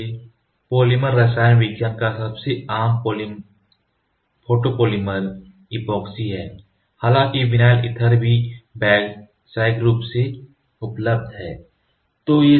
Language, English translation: Hindi, So, the over view of photopolymer chemistry the most common cation photopolymer are epoxies, although vinyl ether are also commercially available